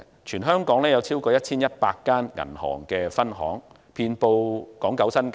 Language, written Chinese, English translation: Cantonese, 全香港有超過 1,100 家銀行分行，遍布港九新界。, There are more than 1 100 bank branches throughout the territory spanning Hong Kong Island Kowloon and the New Territories